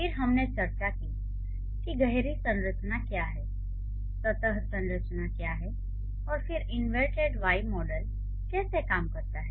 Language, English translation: Hindi, Then we did discuss what is deep structure, what is surface structure, and then how the inverted Y model works